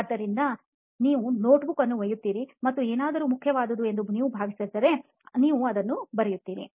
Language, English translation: Kannada, So you carry a notebook and if you feel there is something that is important, you note it down